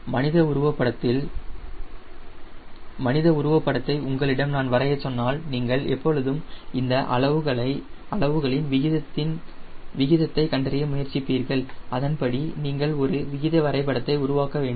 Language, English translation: Tamil, like if i ask you draw a figure of a human sketch, you always try to find out what is the proportion of this size to the total size and accordingly you make a proportion, a diagram, so that you should look like a human figure